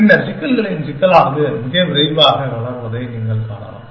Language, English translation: Tamil, And then, you can see that the complexity of the problems grows very quickly